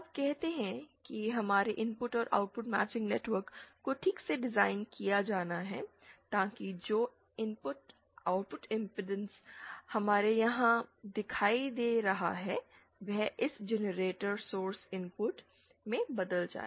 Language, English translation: Hindi, Now say so our input and output matching networks have to be properly designed so that the output impedance that we see here is converted to this generator source input